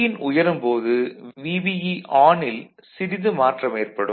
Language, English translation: Tamil, There is VBE will slightly change with increase in Vin